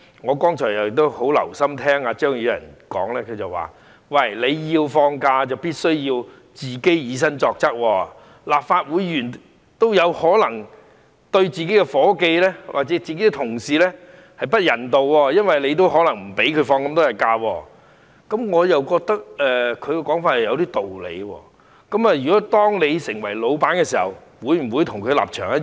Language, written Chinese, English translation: Cantonese, 我剛才很留心聆聽張宇人議員發言，他說如果要放假便必須以身作則，立法會議員也有可能對自己的助理或同事不人道，因為他們也可能不讓員工放足應有的假期，我覺得他的說法有點道理，當你成為老闆時，會否跟他的立場一樣？, He said that when talking about holidays we should set an example as sometimes Legislative Council Members may be inhumane to their assistants or colleagues by not allowing them to take as many days - off as they are supposed to . I see some points in his view . When you are an employer will you have the same mentality like his?